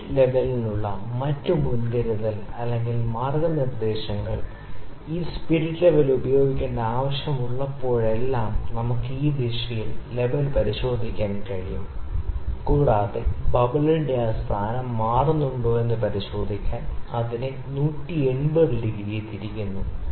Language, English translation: Malayalam, Another precautions or guidelines for spirit level is that whenever we need to use this spirit level, we can check the level in this direction, and also we turn it 180 degree to check if that position of the bubble changes